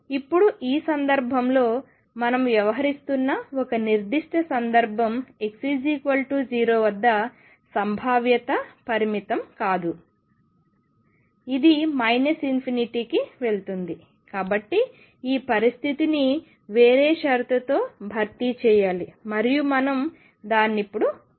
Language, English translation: Telugu, Now, in this case a particular case that we are dealing with the potential is not finite at x equal to 0 it goes to minus infinity therefore, this condition has to be replaced by some other condition and we will do that now